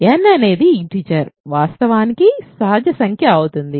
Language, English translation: Telugu, So, let n be an integer, will be actually a natural number